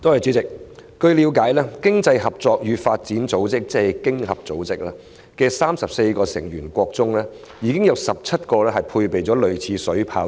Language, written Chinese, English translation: Cantonese, 主席，據了解，經濟合作與發展組織的34個成員國中，有17個配備類似的水炮車。, President as I understand it among the 34 members of the Organization for Economic Co - operation and Development 17 have been equipped with some kind of water cannon vehicles